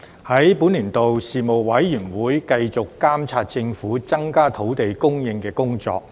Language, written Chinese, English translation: Cantonese, 在本年度，事務委員會繼續監察政府增加土地供應的工作。, During the session the Panel continued to monitor the Governments measures in increasing land supply